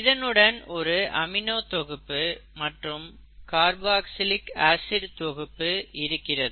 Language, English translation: Tamil, So you have an amino group here and a carboxylic acid group here